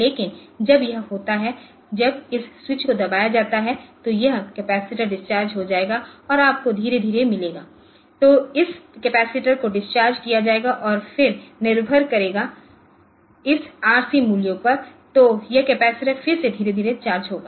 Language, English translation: Hindi, But, when this is when this switch is pressed then this capacitor will get discharged and you will slowly get a so this capacitor will be discharged and then depend when the depending upon this RC values so this capacitor will be charged again slowly